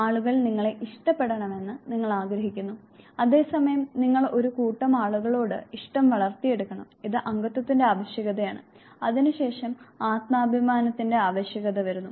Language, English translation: Malayalam, You want that people should like you and at the same time you also develop liking for a set of people this is the need for belongingness and thereafter comes the need for self esteem